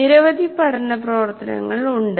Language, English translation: Malayalam, So there are a whole lot of learning activities